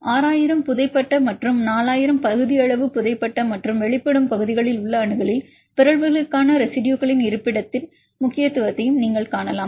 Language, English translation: Tamil, In the accessibility about 6000 buried and 4000 in the partially buried and the exposed regions right, so that also you can see the importance of the location of the residues for mutations